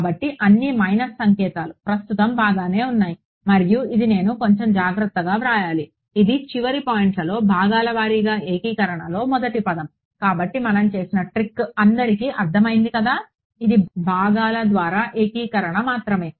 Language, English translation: Telugu, So, it is all the minus signs are fine now right and this I should write a little bit more carefully this is at the end points, the first term in integration by parts So, everyone has followed the trick that we have done is just integration by parts that is all